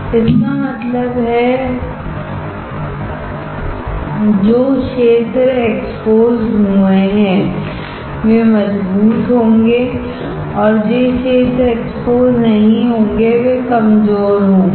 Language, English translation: Hindi, That means, the area which are exposed will be strong and the area which are not exposed will be weak